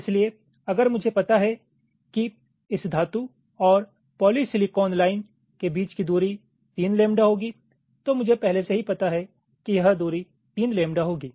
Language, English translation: Hindi, so if i know that the separation between this metal and polysilicon line will be three lambda, then i already know this separation will be three lambda